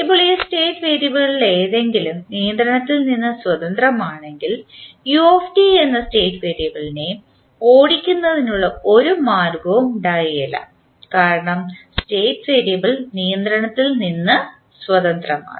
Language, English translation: Malayalam, Now, if any one of this state variables is independent of the control that is u t there would be no way of driving this particular state variable because the State variable is independent of control